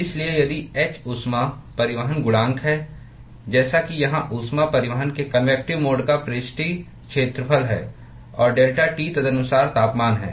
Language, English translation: Hindi, So, if h is the heat transport coefficient, As is the surface area of convective mode of heat transport here and delta T is the corresponding temperature